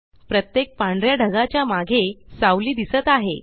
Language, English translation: Marathi, A shadow is displayed behind each white cloud